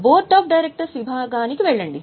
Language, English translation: Telugu, Go to the board of directors section